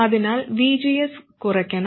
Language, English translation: Malayalam, So VGS must reduce